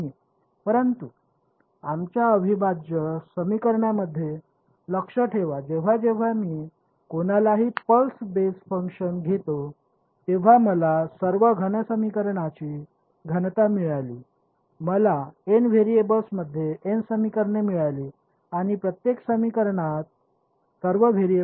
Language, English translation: Marathi, But remember in our integral equations whenever I took anyone pulse basis function I got all I got a dense system of equations I have got n equations in n variables and each equation had all the variables